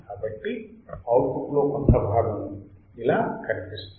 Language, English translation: Telugu, So, part of the output how it looks like, like this